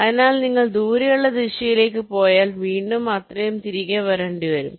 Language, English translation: Malayalam, so once you go go to the to the away direction, will have to again come back by that amount